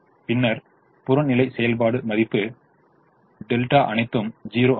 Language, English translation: Tamil, and then the objective function value c b is all zero